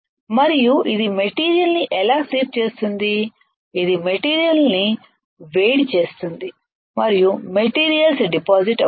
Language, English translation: Telugu, And this is how it will sweep the material it will heat the material and materials gets deposited